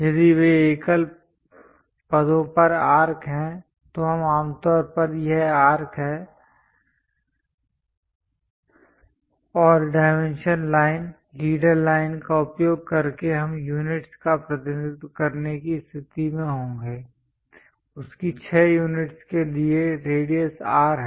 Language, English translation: Hindi, If those are arcs at single positions, we usually this is the arc and using dimension line, leader line we will be in a position to represent the units; R for radius 6 units of that